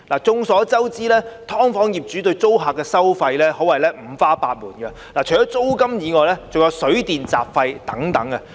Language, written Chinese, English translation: Cantonese, 眾所周知，"劏房"業主對租客的收費可謂五花八門，除租金外，還有水電和雜費等。, It is a well - known fact that landlords of subdivided units impose all sorts of charges on their tenants